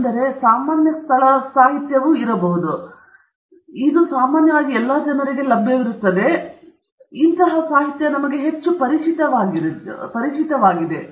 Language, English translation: Kannada, So, these are common place literature okay; that’s commonly available and this is the kind of written material that we are more familiar with